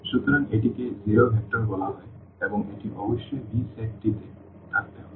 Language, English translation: Bengali, So, this is called the zero vector and this must be there in the set V